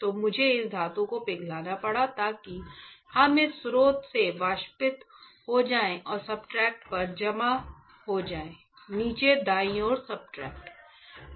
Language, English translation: Hindi, So, I had to melt this metal right such that it will evaporate from this source and we will get deposited on the substrate; substrate on the bottom right